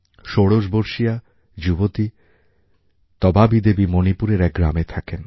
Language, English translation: Bengali, 16 year old player Tabaabi Devi hails from a village in Manipur